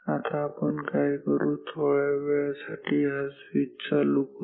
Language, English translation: Marathi, Now, what we do we close this switch for a brief 1 ok